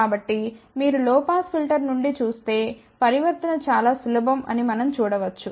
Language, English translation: Telugu, So, if you just look at it from low pass filter we can see that the transformation is very simple